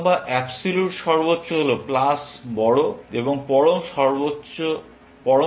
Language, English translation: Bengali, The absolute possible is plus large and absolute minimum is minus large